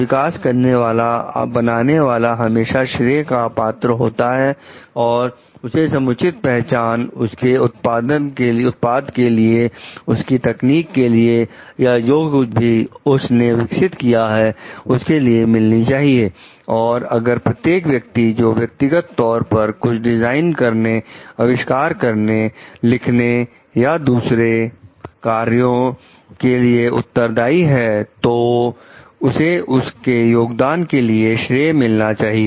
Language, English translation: Hindi, The developer the creator should always be credited with due recognition for the products the techniques that they have developed and, it is like every person who was individually responsible for the design, invention, writing or other accomplishments should be credited for their contribution